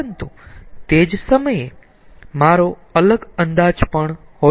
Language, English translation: Gujarati, but at the same time i can have a different outlook also